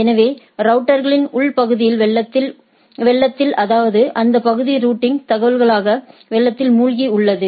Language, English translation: Tamil, So, routers inside an area flood with the flood the area with routing information